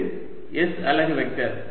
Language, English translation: Tamil, this is the s unit vector